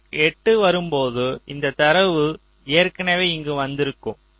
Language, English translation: Tamil, so when clock two comes, this data is already come here